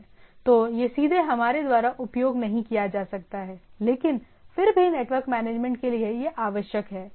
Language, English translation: Hindi, So, it is not may not be directly used by us, but nevertheless it is required for network management right